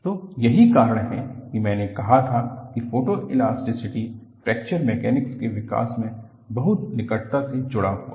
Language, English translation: Hindi, So, that is why I said, photoelasticity is very closely linked to development of Fracture Mechanics